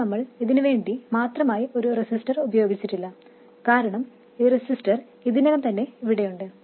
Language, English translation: Malayalam, Now we didn't use an explicit resistor because this resistor is already in place